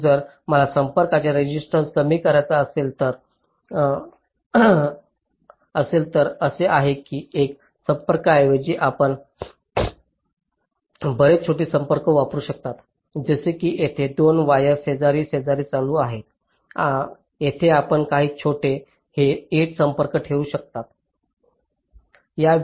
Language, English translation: Marathi, so if i want to reduce the resistance of the contacts, what is done is that instead of a single contact you can use many small contacts, like here where the two wires are running side by side